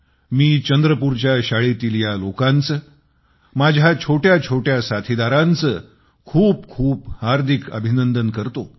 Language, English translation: Marathi, I congratulate these young friends and members of the school in Chandrapur, from the core of my heart